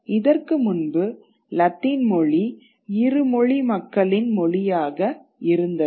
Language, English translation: Tamil, Before this, Latin was a language of bilinguals